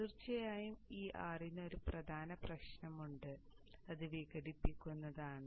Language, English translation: Malayalam, Of course there is one major problem with this R